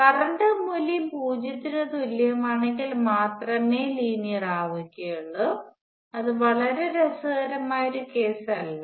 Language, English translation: Malayalam, Now there will be linear only if the value of the current equals 0 that is not a very interesting case